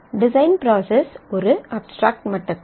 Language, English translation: Tamil, The design process at an abstract level